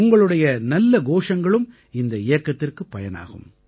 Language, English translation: Tamil, Good slogans from you too will be used in this campaign